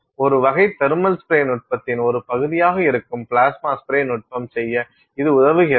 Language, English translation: Tamil, The plasma spray technique which is a part of a type of thermal spray technique enables you to do this